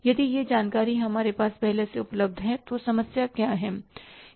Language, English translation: Hindi, If this information is available with us in advance, then what's the problem